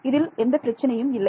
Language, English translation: Tamil, So, this is a problem